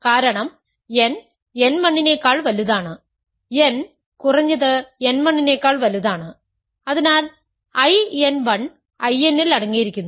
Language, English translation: Malayalam, Similarly, n 2 is at least n 2 is less than equal to n so, I n 2 is contained in I n